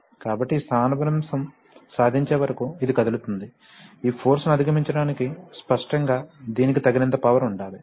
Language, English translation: Telugu, So till this displacement is achieved, this will start moving at, obviously this should have enough power to, you know overcome this force